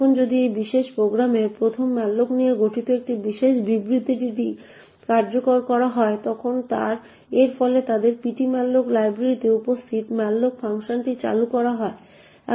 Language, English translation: Bengali, Now when this particular statement comprising of the 1st malloc of this particular program gets executed it results in the malloc function present in their ptmalloc library to be invoked